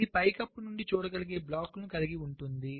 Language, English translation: Telugu, ceiling contains the blocks which can be seen from the top